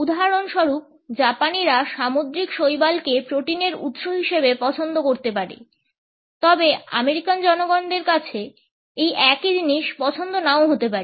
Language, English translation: Bengali, For example, seaweed may be preferred as a source of protein by the Japanese people, but the American people may not necessarily have the same choice